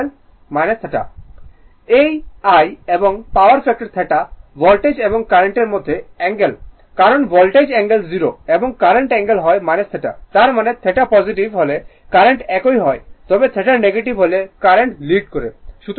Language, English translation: Bengali, This is I and power factor is cos theta, right is the angle between the voltage and current because voltage angle is 0 and current angle is minus theta; that means, current is same if it is theta is positive then current is lagging if theta is negative then current is leading right